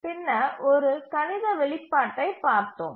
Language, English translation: Tamil, Now, let's do it mathematically